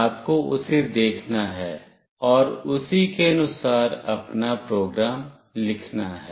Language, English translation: Hindi, You have to see that and write your program accordingly